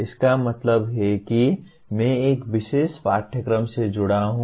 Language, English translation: Hindi, That means I am associated with a particular course